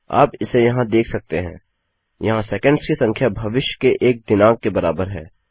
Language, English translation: Hindi, So you can see it here I think the number of seconds in here equates to a date in the future